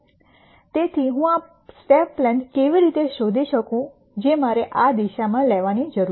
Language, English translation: Gujarati, So, how do I find this step length that I need to take in this direction